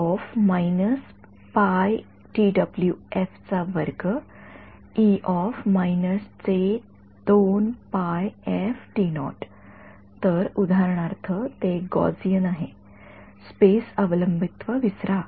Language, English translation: Marathi, So, for example, it is a Gaussian forget the space dependence ok